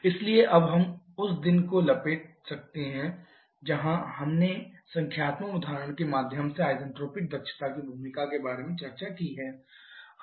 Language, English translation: Hindi, So, now we can wrap up the day where we have discussed about the role of the isentropic efficiency to a numerical example